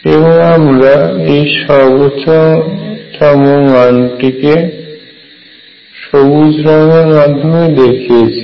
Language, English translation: Bengali, And that is why you see this maximum right here shown by green